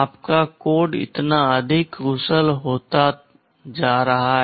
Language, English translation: Hindi, Your code is becoming so much more efficient